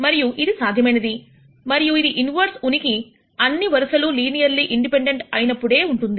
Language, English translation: Telugu, And this is possible and this inverse exists only if all the rows are linearly independent